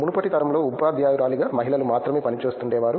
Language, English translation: Telugu, In the earlier generation there was only lady who is working as a teacher